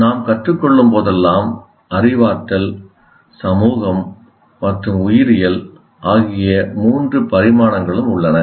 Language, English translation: Tamil, So whenever we are learning, there are all the three dimensions exist, cognitive, social and biological